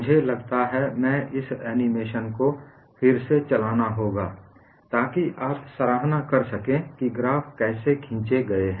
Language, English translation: Hindi, I think I would redo this animation so that you will be able to appreciate how the graphs have been drawn